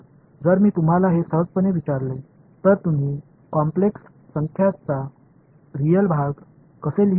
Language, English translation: Marathi, So, if I asked you to simply this what how would you write down real part of a complex number